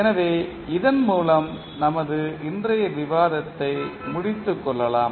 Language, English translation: Tamil, So, let us start our discussion of today’s lecture